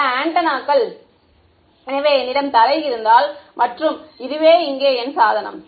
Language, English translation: Tamil, Many antenna Many antennas right; so, if I have this is the ground and this is my device over here